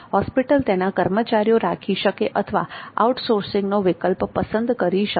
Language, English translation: Gujarati, Hospital can hire employee for it or can opt for outsourcing